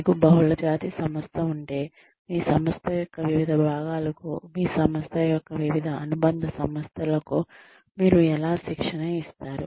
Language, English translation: Telugu, If you have a multinational organization, how do you deliver training to the different parts of your organization, to the different subsidiaries of your organization